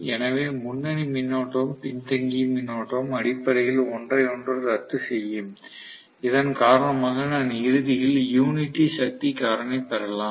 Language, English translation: Tamil, So, the leading current and the lagging current will essentially cancel out with each other because of which I might ultimately get unity power factor